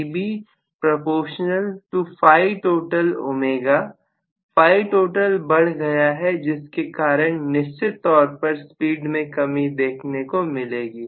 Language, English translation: Hindi, Phi Total have increased because of which I am going to have definitely a reduction in the speed